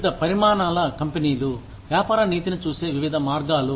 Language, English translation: Telugu, Various ways in which, different sized companies, view business ethics